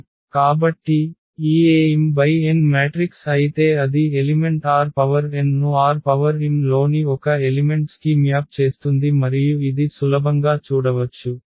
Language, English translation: Telugu, So, if this A is m cross n matrix then it maps element form R n to one element in R m and this one can see easily